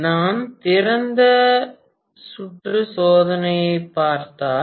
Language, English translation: Tamil, If I look at the open circuit test